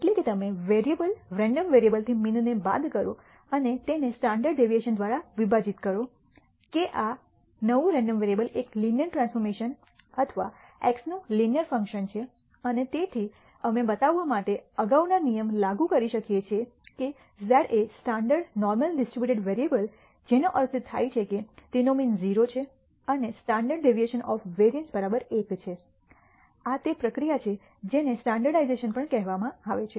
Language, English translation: Gujarati, That is, you subtract the mean from the variable random variable and divide it by the standard deviation that, this new random variable is a linear transformation or a linear function of x and therefore, we can apply the previous rule to show that z is a standard normal distributed variable which means it has a mean 0 and a standard deviation of variance equal to 1, this is this process is also known as standardization